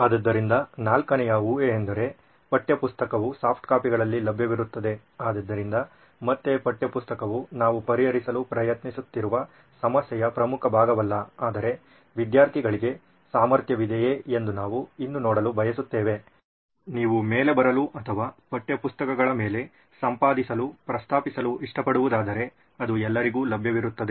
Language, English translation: Kannada, So the first assumption, one of the fourth assumption was the textbook would be available in soft copies, so again textbook is not the core part of the problem that we are trying to solve but we still would want to see if students would have the ability to like you mention write on top or edit on top of textbooks and that contain also can be available for everyone